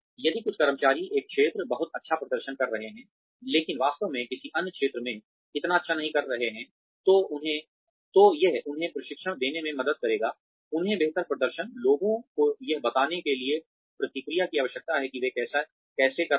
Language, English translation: Hindi, If some employee is performing very well in one sector, one area, but not really doing so well in another area, then it would help to give them the training, they require to become better performance, feedback telling people, how they are doing